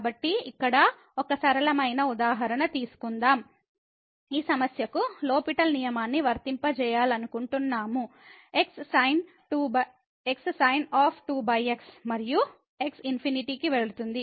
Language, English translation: Telugu, So, let us take a simple example here, we want to apply this L’Hospital rule to this problem over and goes to infinity